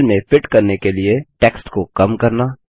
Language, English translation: Hindi, Shrinking text to fit the cell